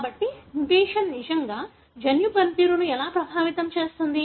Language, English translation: Telugu, So, how does the mutation really affect the gene function